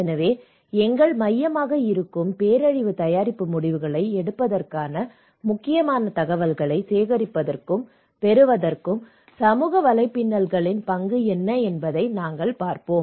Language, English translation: Tamil, So, what is the role of social networks to collect, to obtain critical information for making disaster preparedness decisions that would be our focus